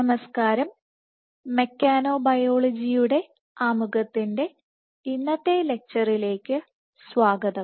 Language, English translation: Malayalam, Hello and welcome to today’s lecture of Introduction to Mechanobiology